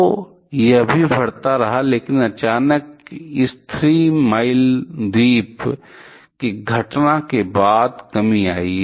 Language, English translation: Hindi, So, it also kept on increasing, but suddenly there is a decrease following this Three Mile Island incident